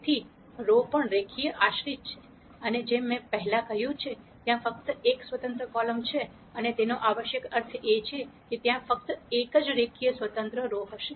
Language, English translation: Gujarati, So, the rows are also linearly dependent and, and as I said before, there is only one independent column and that necessarily means that there will be only one linearly independent row